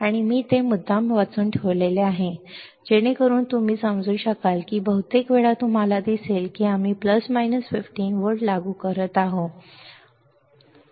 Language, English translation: Marathi, And I have kept it read deliberately, so that you can understand that most of the time the most of the time you will see that we are applying plus minus 15 volts, we are applying plus minus 15 volts ok